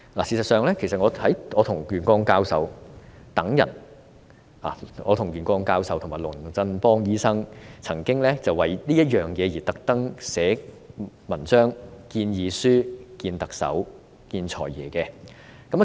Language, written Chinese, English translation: Cantonese, 事實上，我與袁國勇教授及龍振邦醫生曾經特地為此撰寫文章和建議書，並與特首及"財爺"會面。, In fact Prof YUEN Kwok - yung Dr David Christopher LUNG and I have written articles and proposals on this issue and met with the Chief Executive and the Financial Secretary